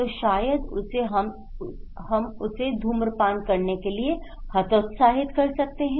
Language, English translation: Hindi, So, maybe we can discourage her not to smoke